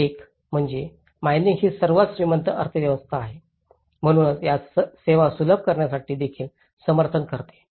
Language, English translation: Marathi, So, one is the mining being one of the richest economy, so it also supports to facilitate these services